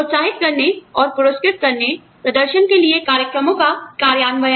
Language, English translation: Hindi, Implementation of programs, to encourage and reward, performance